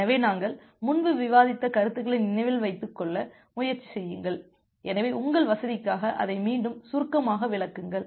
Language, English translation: Tamil, So, just try to remember the concepts that we discussed earlier, so just briefly explaining it again for your convenience